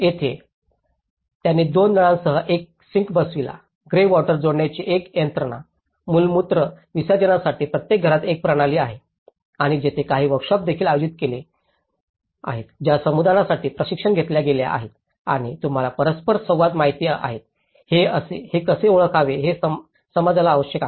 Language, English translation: Marathi, So here, they installed a sink with two taps, a system of removing grey water connected, a system in each houses for the excreta disposal and there has been also some workshops which has been conducted for the community the training and you know interactions so the community needs how are these identified